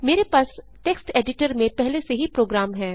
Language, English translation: Hindi, I already have program in a text editor